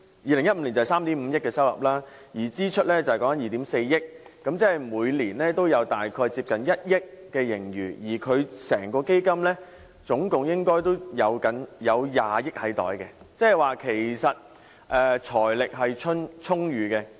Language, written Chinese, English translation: Cantonese, 2015年收入3億 5,000 萬元，支出是2億 4,000 萬元，每年大約有接近1億元盈餘，而整個基金總共應有20億元儲備，換言之，其實財力是充裕的。, Its latest online accounting records for 2015 show that every year around 300 million that in 2015 it recorded an income of 350 million an expenditure of 240 million and an annual surplus of nearly 100 million with the reserves of the whole Fund probably standing at 2 billion in total . In other words its financial resources are actually abundant